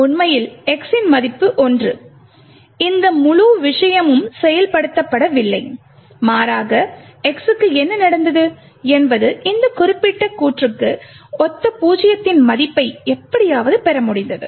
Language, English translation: Tamil, Infact this entire thing of x equal to 1 has not been executed at all rather what has happened to x is that it has somehow manage to obtain a value of zero which corresponds to this particular statement